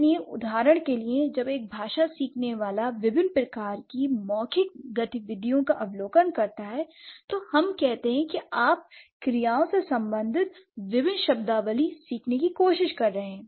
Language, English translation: Hindi, So, for example when a language learner observes various kinds of verbal activities, let's say you are trying to learn different vocabulary related to verbs